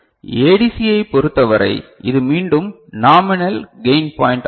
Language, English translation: Tamil, For ADC, so this is again the nominal gain point